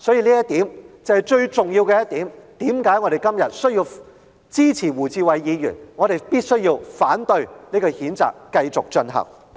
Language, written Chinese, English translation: Cantonese, 這是最重要的一點，解釋了我們今天為何支持胡志偉議員的議案，反對繼續譴責林卓廷議員。, This is the most important point explaining our support for Mr WU Chi - wais motion and opposition to proceeding with the censure of Mr LAM Cheuk - ting today